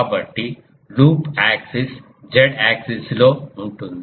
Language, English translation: Telugu, So, the loop axis is in the Z axis